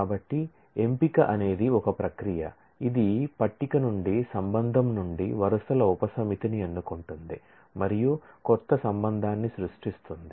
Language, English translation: Telugu, So, selection is a process is the operation which selects a subset of rows from a table, from a relation and creates a new relation